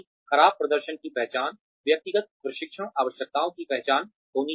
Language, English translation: Hindi, Identification of poor performance, identification of individual training needs